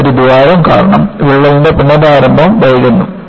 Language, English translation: Malayalam, Here, because of a hole, the re initiation of the crack is delayed